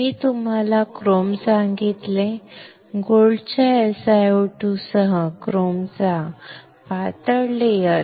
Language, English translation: Marathi, I told you which one chrome; thin layer of chrome over with gold SiO2